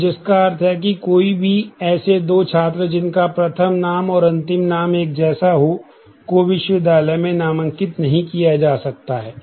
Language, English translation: Hindi, So, which mean that no, two students having the same first name and last name can be enrolled in the university